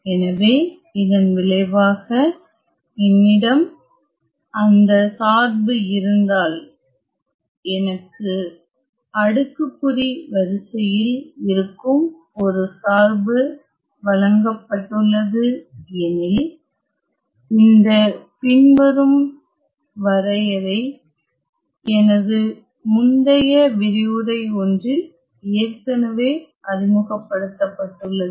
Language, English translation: Tamil, So, the result says that if I have that the function; I am given a function which is of exponential order, this following definition has already been introduced in one of my earlier lectures